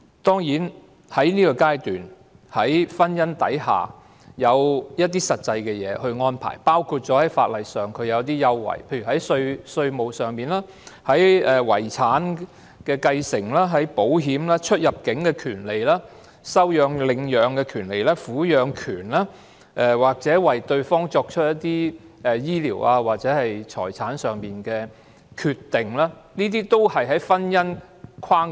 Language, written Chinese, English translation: Cantonese, 當然，在這階段，在婚姻的法律框架下已賦予某些權利，包括稅務、遺產的繼承、保險，出入境的權利、收養/領養的權利、撫養權、為對方作出醫療或財產上的決定等。, Of course at this stage certain rights have been granted under the legal framework of marriage including taxation inheritance of estate insurance right of entry and exit right to adoptionrehoming custody making medical or property decisions on behalf of the other party etc